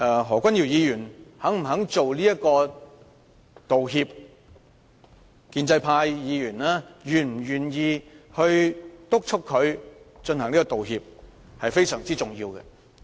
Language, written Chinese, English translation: Cantonese, 何君堯議員是否願意道歉，以及建制派議員是否願意督促他道歉，是非常重要的問題。, Whether Dr Junius HO agrees to apologize and whether pro - establishment Members are willing to urge him to do so are matters of huge importance